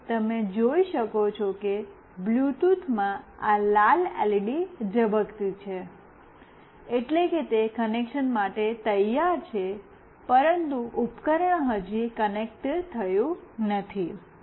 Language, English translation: Gujarati, And you can see that in the Bluetooth this red LED is blinking, meaning that it is ready for connection, but the device has not connected yet